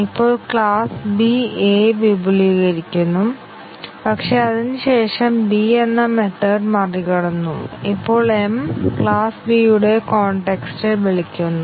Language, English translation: Malayalam, Now, class B extends A, but then it has overridden method B, now when m is called in class context of class B